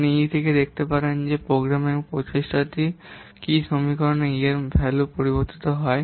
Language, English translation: Bengali, You can see from this what equation the programming effort e